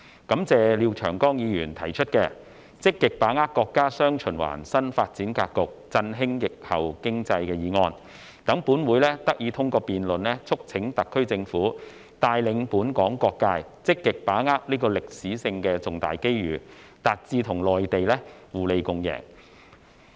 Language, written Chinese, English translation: Cantonese, 感謝廖長江議員提出的"積極把握國家'雙循環'新發展格局，振興疫後經濟"議案，讓本會得以通過辯論促請特區政府帶領本港各界，積極把握此歷史性重大機遇，達至與內地互利共贏。, I thank Mr Martin LIAO for proposing the motion on Actively seizing the opportunities arising from the countrys new development pattern featuring dual circulation to revitalize the post - pandemic economy which allows this Council to through debate urge the SAR Government to lead various sectors in Hong Kong to actively seize the major historic opportunities to achieve mutual benefits with the Mainland